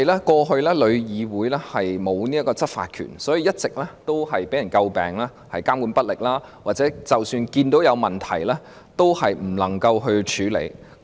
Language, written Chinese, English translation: Cantonese, 過去旅議會沒有執法權，因而一直被人詬病監管不力，或即使看到有問題，也無法處理。, TIC had no enforcement power in the past so it has all along been criticized for its ineffective regulation or its incapability to handle problems identified